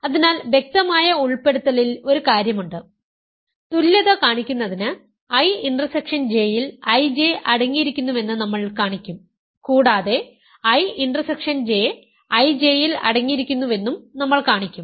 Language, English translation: Malayalam, So, there is one obvious in inclusion, so in order to show equality, we will show that I J is contained in I intersection J and we also show that I intersection J is contained in I J